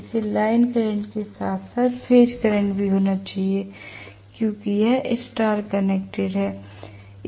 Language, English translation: Hindi, This has to be line current as well as phase current because it is star connected